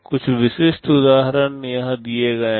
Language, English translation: Hindi, Some typical examples are given here